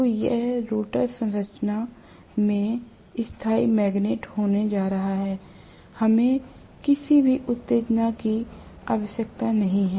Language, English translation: Hindi, So, it is going to have permanent magnets in the rotor structure, we do not need any excitation